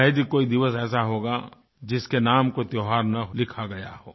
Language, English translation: Hindi, There is hardly a day which does not have a festival ascribed to it